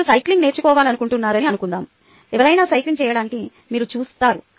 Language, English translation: Telugu, supposing you want to learn cycling, you watch somebody do cycling